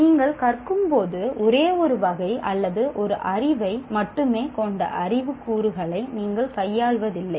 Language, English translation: Tamil, When you are learning, you are not dealing with knowledge elements belonging to only one category or one piece of knowledge